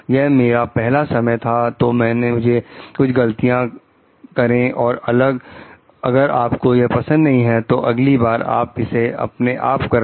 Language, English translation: Hindi, This was my first time, so, I made a few mistakes if you don t like it, do it yourself next time